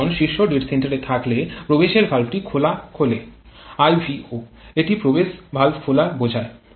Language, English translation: Bengali, When the piston is at top dead center the inlet valve opens IV refers to an inlet valve opening